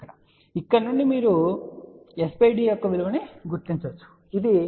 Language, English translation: Telugu, So, from here we can read the value of s by t you can say it is 0